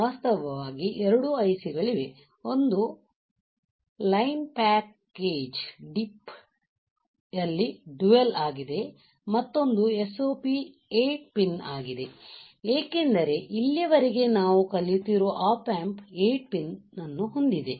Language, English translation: Kannada, In fact, you see that there are 2 ICs one is dual in line package DIP, another one is a SOP is 8 pin, because the op amp has the 8 pin that we are learning until now right